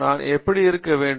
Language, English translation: Tamil, How should I go about